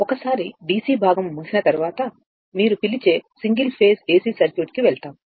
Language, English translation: Telugu, And once DC part will be over, we will go for your what you call single phase AC circuit